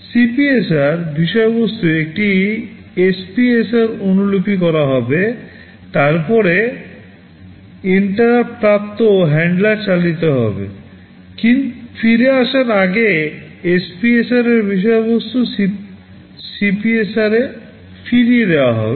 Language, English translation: Bengali, The content of the CPSR will get copied into an SPSR, then interrupt handler will run, before coming back the content of the SPSR will be restored back into CPSR